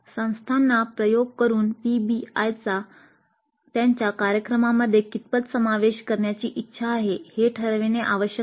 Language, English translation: Marathi, Institutes need to experiment and decide on the extent to which they wish to incorporate PBI into their programs